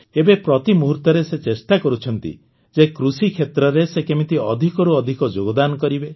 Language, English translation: Odia, Now every moment, he strives to ensure how to contribute maximum in the agriculture sector